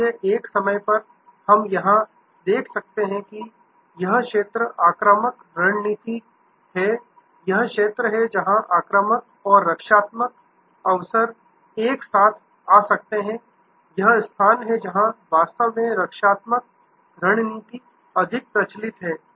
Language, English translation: Hindi, So, at a time, what we can see here that this is the zone offensive strategy this is the zone, where offensive and defensive often may come together this is the stage, where actually defensive strategy is more prevalent